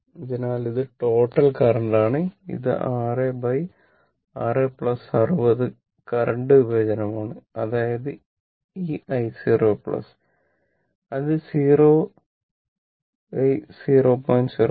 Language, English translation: Malayalam, So, 6 current division 6 by 60 right that is equal to actually i 0 plus right